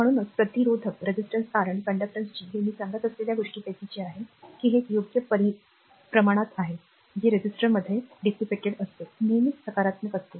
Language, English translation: Marathi, So, since resistance R and conductance G are just what I will told, that it is positive right quantities the power dissipated in a resistor is always positive